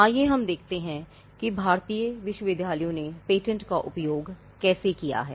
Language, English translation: Hindi, Let us look at how Indian universities have been using Patents